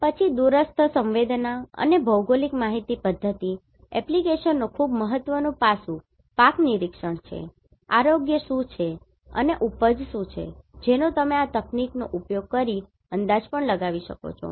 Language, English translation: Gujarati, Then very important aspect of remote sensing and GIS application is crop monitoring, what is the health what is the yield that also you can estimate using this technology